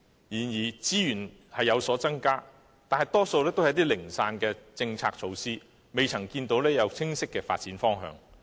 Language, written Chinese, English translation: Cantonese, 然而，資源確是有所增加，但大多是零散的政策措施，未見清晰的發展方向。, However despite the actual increase in resources policy initiatives are mostly fragmentary without a clear direction of development